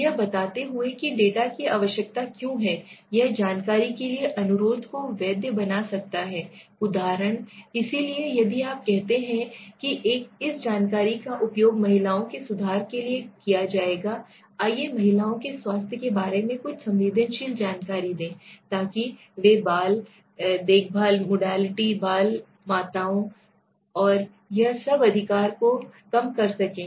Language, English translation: Hindi, Explaining why the data are needed can make the request for information seem legitimate for example, so if you say that this information is will be used for let s say improvement of women s let s say some sensitive information to women s health for the reducing them child care modality, child modality, mothers modality and all this right